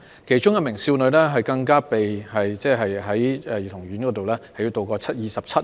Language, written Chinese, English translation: Cantonese, 當中的一名少女，更被迫在兒童院度過了27日。, A young girl among them was even forced to spend 27 days at a childrens home